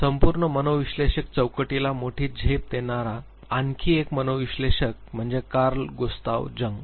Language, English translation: Marathi, Another psychoanalyst who gave major leap to the entire psychoanalytic framework was Carl Gustav Jung